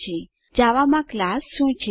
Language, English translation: Gujarati, Now let us see what is the class in Java